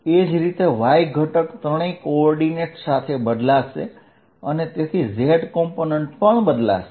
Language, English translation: Gujarati, Similarly, y component will change with all the three coordinates and so will the z component